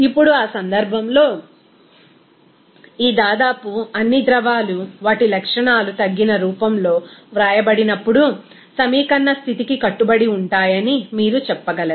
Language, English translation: Telugu, Now, in that case, this almost all fluids you can say that will obey the same equation of state when their properties are written in reduced form